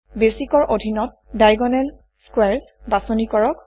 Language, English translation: Assamese, Under Basic choose Diagonal Squares